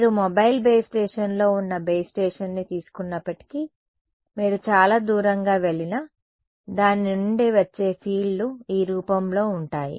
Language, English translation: Telugu, Even if you take the base station I mean in the mobile base station and you go far away from you will find the fields coming from it are of this form